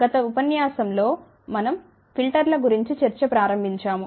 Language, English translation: Telugu, In the last lecture, we had started discussion about filters